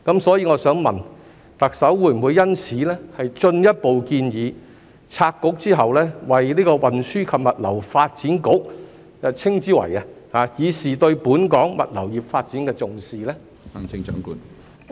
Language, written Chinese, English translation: Cantonese, 所以我想問，特首會否就此進一步建議拆局後，將新局稱之為運輸及物流發展局，以示對本港物流業發展的重視？, Therefore my question is in this regard will the Chief Executive further propose to name the new bureau the Transport and Logistics Development Bureau after splitting the Transport and Housing Bureau to show the importance of the development of Hong Kongs logistics industry?